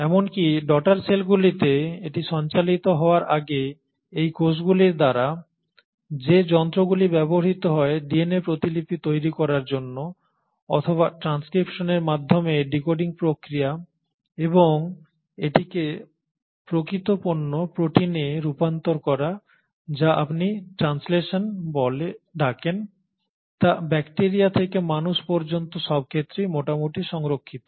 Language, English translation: Bengali, Even the machinery which is used by these cells to replicate their DNA before they can pass it on to the daughter cells or the decoding process by transcription and its conversion into the actual product of protein which is what you call as translation is fairly conserved right from bacteria to humans